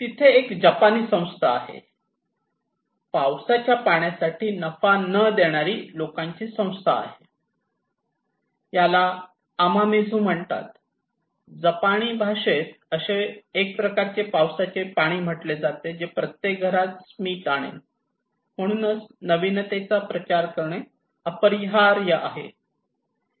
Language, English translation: Marathi, There is a Japanese organization, non profit organization people for rainwater, they said okay, this is called Amamizu, in Japanese is called a kind of rainwater that will bring smile to every home therefore, diffusion of innovation is inevitable